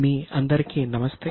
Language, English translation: Telugu, Namaste to all of you